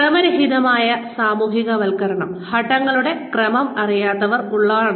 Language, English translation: Malayalam, So, and random socialization is when, the sequence of steps is not known